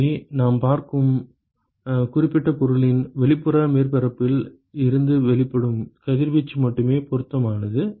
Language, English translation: Tamil, So, what is relevant is only radiation which is emitted by the outer surface of that particular object that we are looking